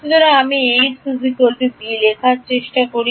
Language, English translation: Bengali, So, I am trying to write Ax is equal to b